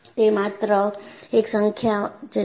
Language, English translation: Gujarati, It is only a number